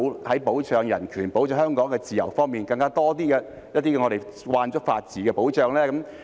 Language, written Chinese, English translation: Cantonese, 在保障人權、保障香港的自由方面可否有更多我們已習慣的法治保障呢？, With regard to the protection of human rights and freedoms in Hong Kong can there be more protection by the rule of law that we have been accustomed to?